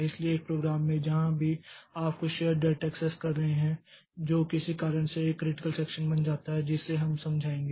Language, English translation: Hindi, So, in a program wherever you are accessing some shared data, so that becomes a critical section because of some reason that we will explain